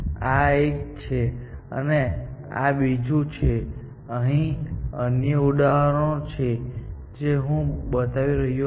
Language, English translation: Gujarati, So, this is one, and this is another one, and there are more examples, which I am not drawing here